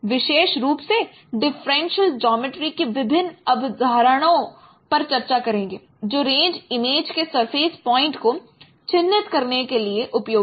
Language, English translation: Hindi, Particularly we will discuss, we will have a brief discussions on different concepts of differential geometry which are useful for characterizing the surface points of the range images